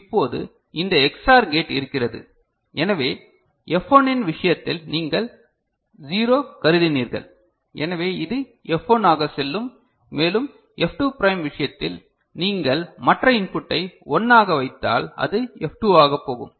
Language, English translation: Tamil, And now we have got these XOR gate available, so in case of F1 you just considered 0, so it will go as F1 and in this case of F2 prime you put the other input as 1 then it will go as F2, ok